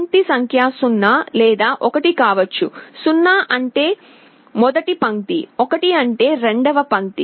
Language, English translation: Telugu, Line number can be either 0 or 1, 0 means the first line, 1 means the second line